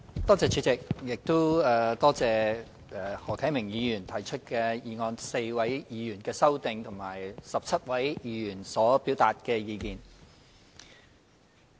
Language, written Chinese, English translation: Cantonese, 多謝主席，亦多謝何啟明議員提出議案 ，4 位議員提出修正案，以及17位議員表達意見。, Thank you President . I also thank Mr HO Kai - ming for proposing the motion the four Members for proposing their amendments as well as the 17 Members who have expressed their views